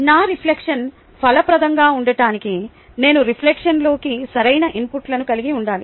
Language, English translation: Telugu, this is very important in in order that my reflection be fruitful, i should have proper inputs into reflection